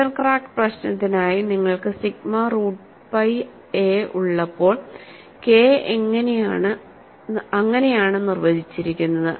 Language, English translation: Malayalam, When you have sigma root pi a for the center crack problem, K is defined like that